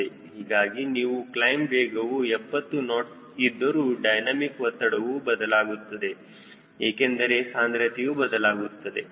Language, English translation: Kannada, so your, even if your claim is speed is seventy knots, your dynamic pressure we will change because density we will change